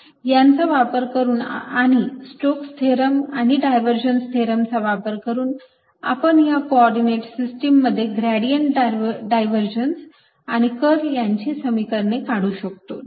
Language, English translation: Marathi, using these and using the stokes theorem and divergence theorem or their definition, we can derive the expressions for the gradient, divergence and curl also in these coordinate systems